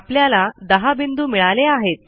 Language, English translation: Marathi, notice I get 10 points here